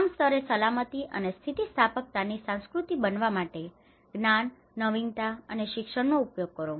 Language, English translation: Gujarati, Use knowledge, innovation and education to build a culture of safety and resilience at all levels